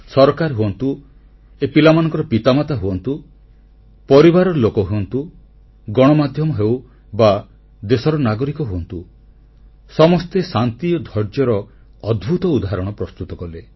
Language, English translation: Odia, The government, their parents, family members, media, citizens of that country, each one of them displayed an aweinspiring sense of peace and patience